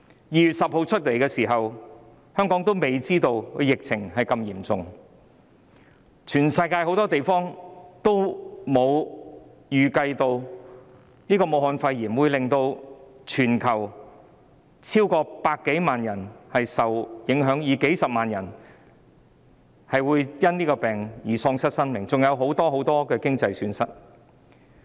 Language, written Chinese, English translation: Cantonese, 2月10日，當時香港的疫情仍未太嚴重，世界各地均沒有預計到武漢肺炎會令全球超過100萬人受影響，數十萬人會因疫症喪失生命，另外還造成很多經濟損失。, On 10 February the epidemic situation in Hong Kong was still not serious . Different parts of the world did not expected that apart from causing substantial economic losses the Wuhan pneumonia would affect over a million people around the world and hundreds of thousands of people would lose their lives because of the epidemic